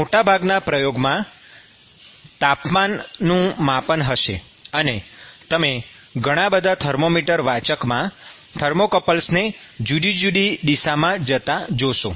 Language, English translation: Gujarati, Most of the experiments will have some measurement of temperature; and so,you will see lots of thermocouples going in different directions into the thermometer reader